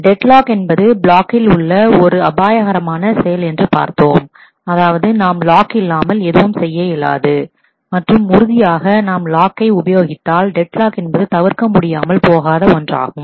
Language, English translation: Tamil, As we have seen that deadlocks of the perils of locking I mean we cannot do without locking and certainly if we lock then deadlocks are inevitable almost to happen